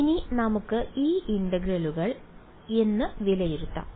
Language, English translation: Malayalam, Now, let us now let us evaluate these integrals ok